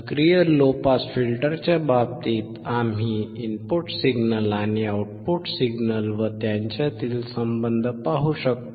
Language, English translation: Marathi, In case of active low pass filter, we can see the input signal and output signal; and the relation between them